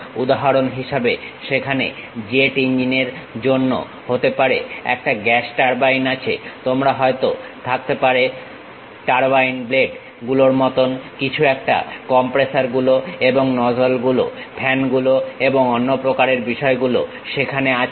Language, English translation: Bengali, For example, there is a gas turbine perhaps maybe for a jet engine, you might be having something like turbine blades, compressors and nozzles, fans and other kind of things are there